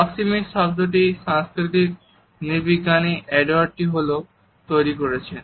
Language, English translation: Bengali, The term proxemics has been coined by the cultural anthropologist, Edward T Hall